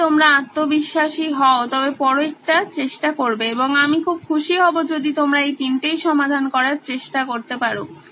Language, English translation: Bengali, If you are confident go to the next one and I will be very happy if you can attempt all 3